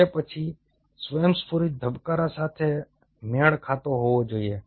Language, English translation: Gujarati, it should match, then spontaneous beating